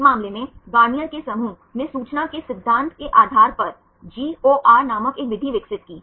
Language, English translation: Hindi, In this case Garnier’s group right they developed a method called GOR based on information theory